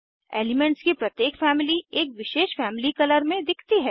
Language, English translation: Hindi, Each Family of elements appear in a specific Family color